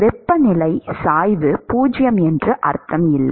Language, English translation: Tamil, It does not mean that the temperature gradient is 0